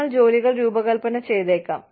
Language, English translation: Malayalam, We may end up, designing jobs